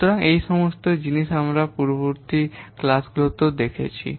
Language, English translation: Bengali, So all these things we have seen in the previous classes